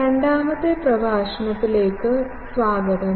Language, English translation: Malayalam, Welcome to the second lecture